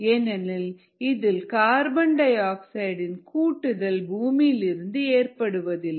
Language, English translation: Tamil, there is no addition of carbon, carbon dioxide, from the earth into the atmosphere